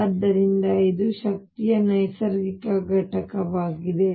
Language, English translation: Kannada, So, this is a natural unit of energy